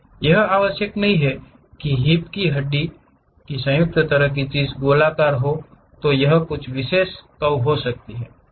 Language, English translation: Hindi, It is not necessary that the hip bone joint kind of thing might be circular, it might be having some specialized curve